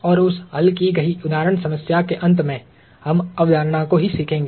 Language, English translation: Hindi, And towards the end of that solved example problem, we would learn the concept itself